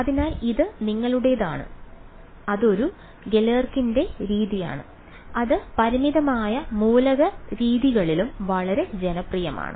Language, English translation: Malayalam, So, that is your, that is a Galerkin’s method, which is yeah also very popular in finite element methods